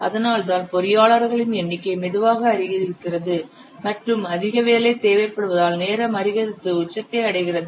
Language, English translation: Tamil, That's why the number of engineers slowly increases and reaches as the peak as the time progresses as more number of work is required